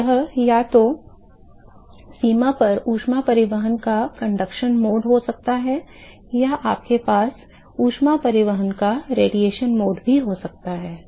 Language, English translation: Hindi, So, it could be either just the conduction mode of heat transport at the boundary or you could also have a radiation mode of heat transport ok